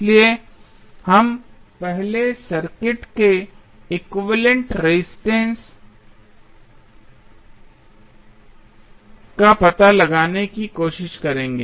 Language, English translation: Hindi, So, we will first try to find out the equivalent resistance of the circuit